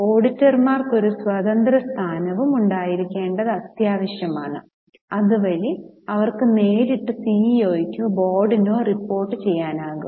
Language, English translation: Malayalam, But it is necessary theoretically to have complete separation and have an independent position for auditors so that they can directly report to CEO or to the board